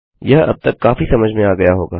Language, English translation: Hindi, That should be pretty clear by now